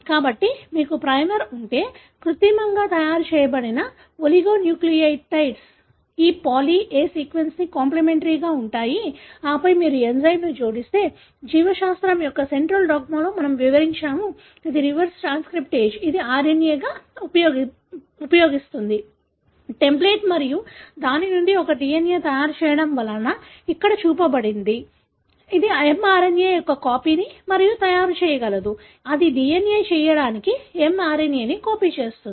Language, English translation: Telugu, So, if you have a primer, oligonucleotides that are artificially made which are complimentary to this poly A sequence and then, if you add an enzyme which, which we described in the central dogma of biology, which is a reverse transcriptase, which uses RNA as the template and makes a DNA out of it, that is what shown here, it is able to make copy of the mRNA, it copies mRNA to make a DNA